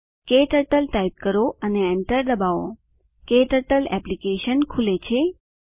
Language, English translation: Gujarati, Type KTurtle and press enter, KTurtle Application opens